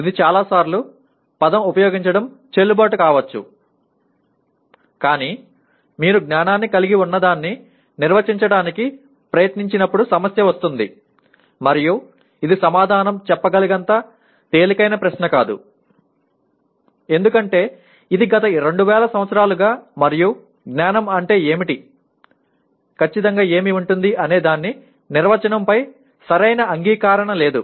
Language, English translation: Telugu, May be many times it is valid use of the word but the problem comes when you try to define what constitutes knowledge and this is not an easy question to answer because that is the concern of the philosophy for the last 2000 years and yet there has been no agreement on what is knowledge